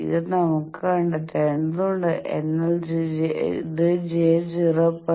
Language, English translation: Malayalam, So this we will have to locate whereas, this one will be j 0